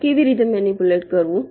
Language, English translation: Gujarati, so how do manipulate